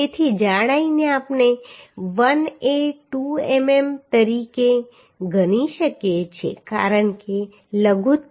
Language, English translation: Gujarati, 05 millimetre So the thickness we can consider as 1a 2 mm because minimum is 10